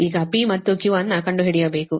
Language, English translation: Kannada, now you have to find out p and q